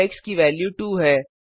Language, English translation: Hindi, Now the value of x is 2